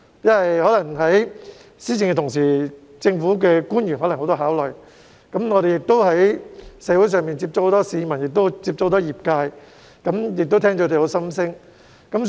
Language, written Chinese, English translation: Cantonese, 在施政的同時，政府官員可能有很多考慮，而我們在社會上亦會接觸很多市民和業界人士，聆聽他們的心聲。, When implementing a policy government officials may have various considerations and we will also get in touch with many people and industry practitioners in communities to listen to their inner thoughts